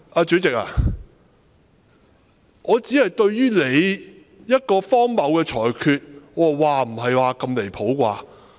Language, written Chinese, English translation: Cantonese, 主席，我只是對你作出的荒謬裁決，表示"嘩，不是吧！, President I was only expressing my astonishment to your ridiculous ruling